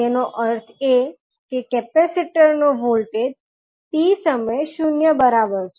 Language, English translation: Gujarati, That means the voltage across capacitor at time t is equal to 0